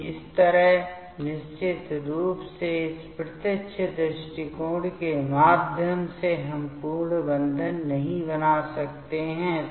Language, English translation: Hindi, So, in this way definitely through this direct approach of in this direct approach, we cannot make complete bonding